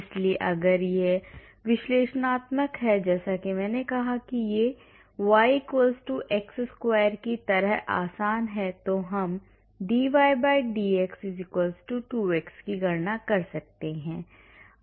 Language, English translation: Hindi, So, if it is analytical as I said it is easy like y=x square means we can calculate dy/dx = 2x